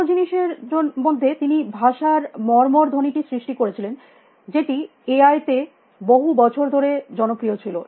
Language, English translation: Bengali, Among other things invent language lisp, which became very popular in AI for many years